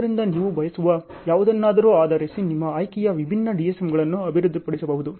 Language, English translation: Kannada, So, based on whatever you want you can accordingly develop different DSM’s of your choice